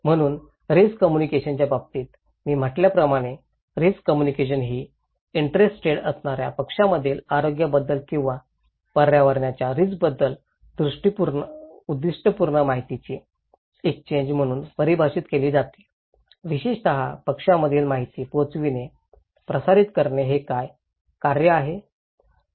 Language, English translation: Marathi, So, in case of risk communication, as I said, risk communication is a defined as any purposeful exchange of information about health or environmental risk between interested parties, more specifically it is the act of conveying, transmitting information between parties about what